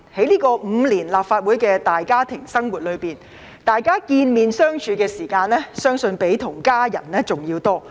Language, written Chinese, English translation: Cantonese, 在立法會大家庭5年的生活，大家相見和相處的時間，相信要比與家人的還要多。, In the past five years with this big family of the Legislative Council we have spent far more time getting along with one another than staying with our families